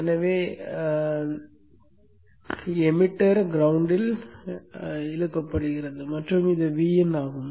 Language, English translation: Tamil, So the emitter is pulled to the ground and this is at VIN